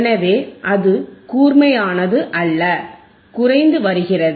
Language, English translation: Tamil, So, it is not sharp, it is you see is this decreasing